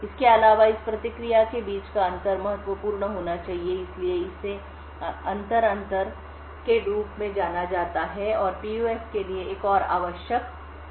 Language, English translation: Hindi, Further, the difference between this response should be significant, So, this is known as the inter difference, and another requirement for PUF is the intra difference